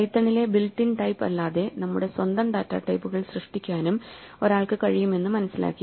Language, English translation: Malayalam, It turns out that one can go beyond the built in types in python and create our own data types